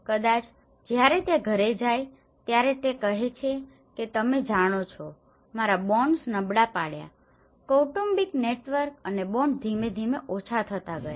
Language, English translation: Gujarati, Maybe when he goes house he says that you know, my bonds got weakened the family network and bonds gradually got diminished